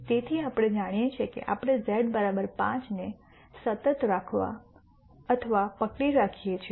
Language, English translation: Gujarati, So, we know that we are going to keep or hold the z equal to 5 as a constant